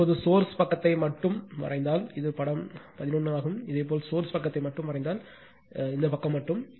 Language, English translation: Tamil, So, now this one you just if you draw only the source side, this is figure 11 if you draw only the source side, this side only right